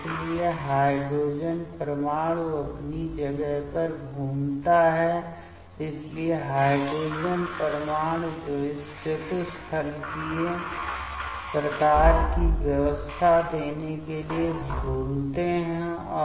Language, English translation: Hindi, So, so the hydrogen atom swings round into place, so hydrogen atoms that swings to give this tetrahedral type of arrangement